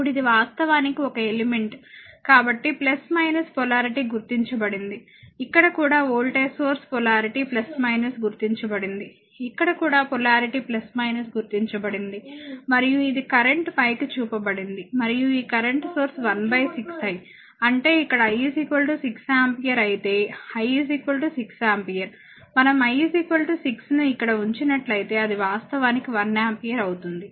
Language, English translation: Telugu, Now this is actually some element so, plus minus polarity has been mark, here also voltage source polarity plus minus has been mark, here also polarity plus minus has been mark right and this is your current is shown upward and this current source is showing 1 upon 6 I; that means, if I is equal to 6 ampere here I is equal to look 6 ampere if we put I is equal to 6 here it will be actually 1 ampere